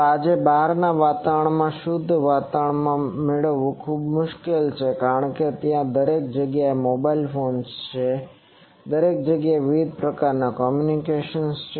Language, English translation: Gujarati, Then in outside today it is very difficult to get a clean environment because, there are mobile phones everywhere there are various communications everywhere